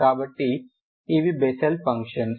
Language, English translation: Telugu, So these are Bessel functions